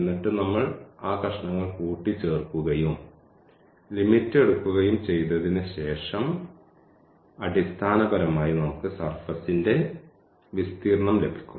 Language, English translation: Malayalam, And, then we will sum those pieces and after taking the limit basically we will get the surface area of the of the surface